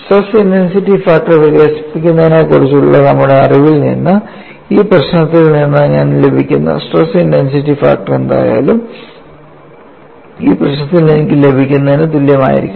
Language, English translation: Malayalam, And from our knowledge of developing stress intensity factor, whatever the stress intensity factor I get out of this problem should be same as what I get in this problem